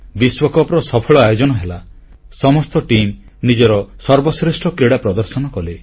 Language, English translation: Odia, The world cup was successfully organized and all the teams performed their best